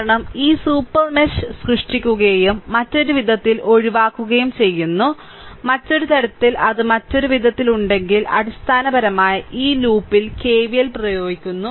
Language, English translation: Malayalam, Because this super mesh is created and you exclude this you exclude this right in other way, in other way, if it is there in other way basically you are applying KVL in this loop, right